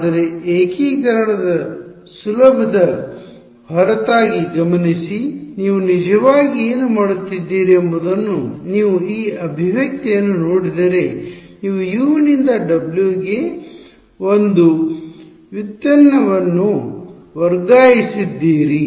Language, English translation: Kannada, But, notice apart from ease of integration what has actually done you have in some sense if you look at this expression you have transferred one derivative from U onto W right